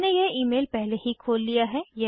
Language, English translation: Hindi, I have already opened this email